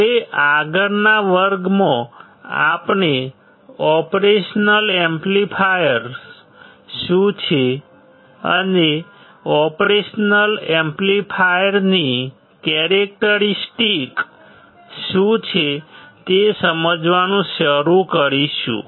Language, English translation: Gujarati, Now, in the next class we will start understanding what the operational amplifiers are, and what are the characteristics of the operational amplifier